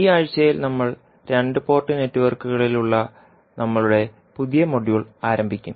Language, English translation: Malayalam, So, in this week we will start our new module that is on two port network